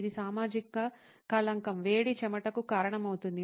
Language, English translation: Telugu, This is a social stigma, heat causes perspiration